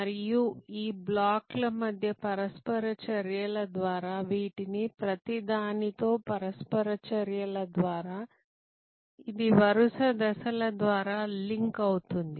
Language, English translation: Telugu, And this will be link through a series of steps through interactions with each of these, through interactions between these blocks and among these blocks